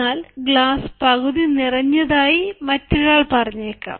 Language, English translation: Malayalam, the other person may say the glass is half full